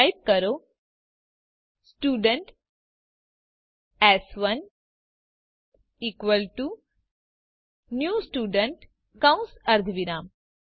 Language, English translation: Gujarati, So type Student s1 is equal to new Student parentheses semicolon